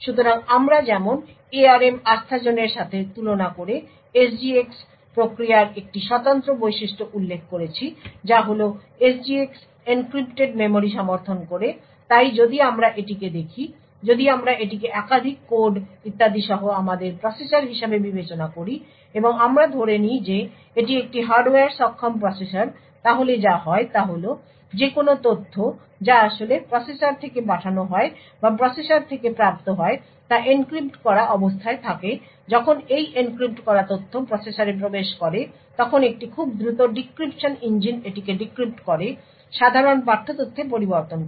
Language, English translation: Bengali, So as we mentioned one of the distinctive features of the SGX mechanism compare to the ARM Trustzone is that SGX supports encrypted memory so if we look at this so if we consider this as our processor with the multiple codes and so on and we assume that this is a hardware enabled processor then what happens is that any data which is actually sent out of the processor or received from the processor is in an encrypted state when this encrypted data enters into the processor then a very fast decryption engine would decryption it to get the plain text data